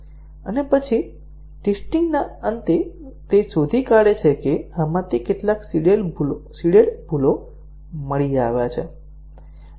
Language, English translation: Gujarati, And then, at the end of the testing he finds out how many of these seeded bugs have been discovered